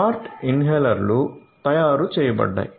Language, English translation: Telugu, So, Smart Inhalers have been manufactured